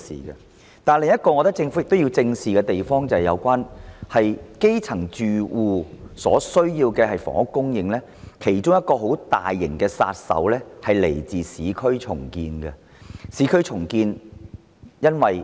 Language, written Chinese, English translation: Cantonese, 然而，我認為政府另一項要正視之處是就基層住戶所需的房屋供應而言，其中一種巨大阻力是來自市區重建。, However I consider that another issue the Government must face up to squarely is that in the supply of necessary housing for grass - roots households one kind of enormous resistance comes from urban redevelopment